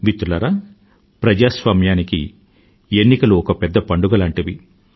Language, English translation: Telugu, Friends, elections are the biggest celebration of democracy